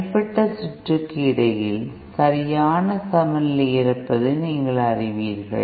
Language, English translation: Tamil, So that you know there is proper balance between the individual circuits